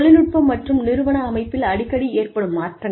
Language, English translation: Tamil, Frequent changes in technology and organization structure